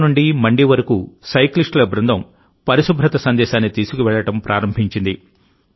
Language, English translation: Telugu, A group of cyclists have started from Shimla to Mandi carrying the message of cleanliness